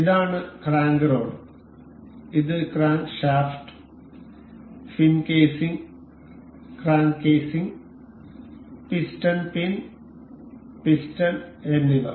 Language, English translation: Malayalam, This is crank rod; this is crankshaft; the fin casing; the crank casing; the piston pin and the piston itself